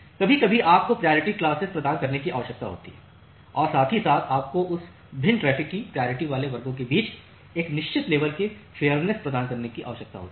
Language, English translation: Hindi, So, sometime you require providing priority classes and at the same time you need to provide certain level of a fairness among the priority classes of that different traffic